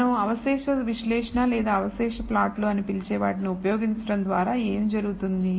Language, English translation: Telugu, What this is done by using, what we call residual analysis or residual plots